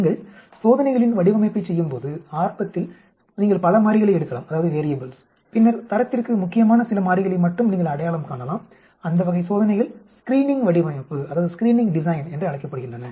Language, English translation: Tamil, When you do the design of experiments initially you may take many variables and then you identify only few variables that are critical to quality, that type of experiments is called screening design